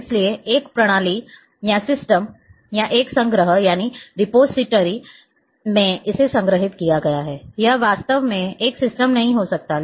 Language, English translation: Hindi, So, in a one system or one repository it has been stored may not be exactly one system